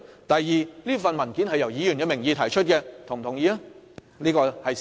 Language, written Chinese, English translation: Cantonese, 第二，這份文件是以一名議員的名義提出，這亦顯然是事實。, Second the document was submitted in the name of a Member and that is obviously a fact